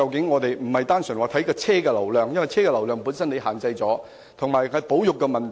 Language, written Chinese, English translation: Cantonese, 我們不應只看車輛流量，因為車輛流量受到限制，而且還有保育問題。, We should not merely look at the vehicle flow because it is restricted . Moreover there are conservation issues